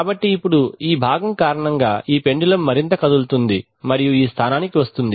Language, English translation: Telugu, So now due to this component this pendulum will move further and will come to this position